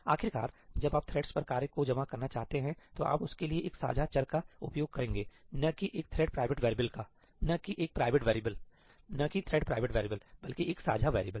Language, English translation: Hindi, Eventually, when you want to accumulate the work across threads, you would use a shared variable for that, not a thread private variable not a private variable, not a thread private variable, but a shared variable